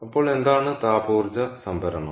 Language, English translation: Malayalam, so what is thermal energy storage